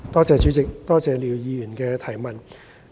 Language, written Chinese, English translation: Cantonese, 主席，多謝廖議員提出的補充質詢。, President I thank Mr LIAO for his supplementary question